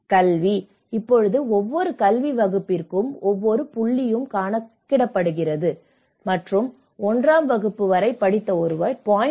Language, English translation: Tamil, Education; now each point is counted for each academic class and a person educated up to a class 1 receives 0